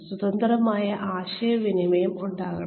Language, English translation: Malayalam, There should be free open communication